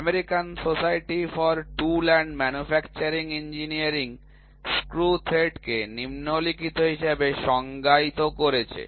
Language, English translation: Bengali, AS the American Society for Tool and Manufacturing Engineering; ASTME defined the screw thread as following